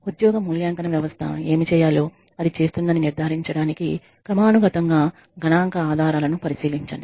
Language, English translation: Telugu, Examine statistical evidence periodically to ensure that the job evaluation system is doing what it is supposed to do